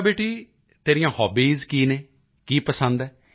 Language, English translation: Punjabi, Good beta, what are your hobbies